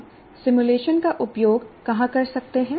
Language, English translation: Hindi, Where can we use simulation